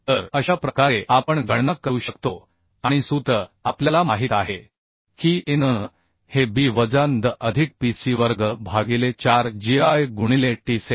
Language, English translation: Marathi, So in this way we can calculate and the formula we know that An will be equal to b minus ndh, plus psi square by 4gi into t